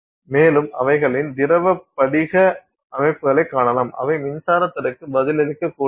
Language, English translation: Tamil, And they are also you can find a liquid crystal systems which are also you know responsive to electric fields